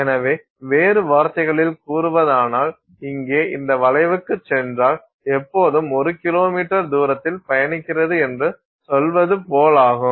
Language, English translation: Tamil, So in other words if go back to this curve here, it's like saying that you are always traveling one kilometer distance